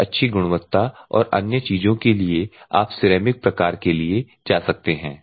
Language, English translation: Hindi, For the best quality and other things you can go for ceramic type